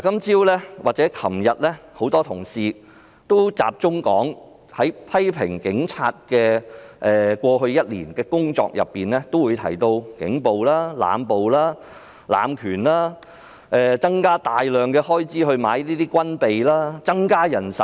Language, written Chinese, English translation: Cantonese, 這兩天，很多同事批評警察過去1年的工作，也提到警暴、濫捕、濫權、增加開支以購買軍備，增加人手等。, In these two days many colleagues criticized the work of the Police in the past year and they subjects they touched upon include police brutality indiscriminate arrests abuse of power additional expenditures for procurement of armaments and additional manpower etc